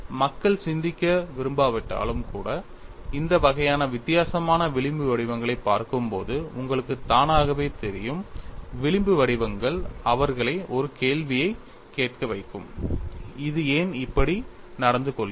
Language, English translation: Tamil, You know automatically when people look at this kind of different fringe patterns even if they do not want to think the fringe patterns will make them ask a question, why it is behaving like this